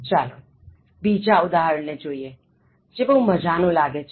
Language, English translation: Gujarati, Let us look at the second example, which looks very interesting